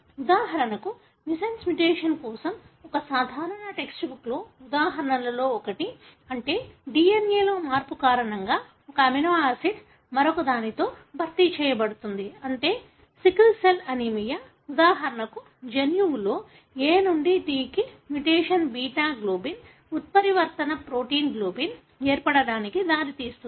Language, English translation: Telugu, For example, one of the common text book examples for a missense mutation, meaning one amino acid being replaced by another because of a change in the DNA is sickle cell anaemia, wherein for example a mutation from A to T in the gene that codes for beta globin, results in the formation of a mutant protein globin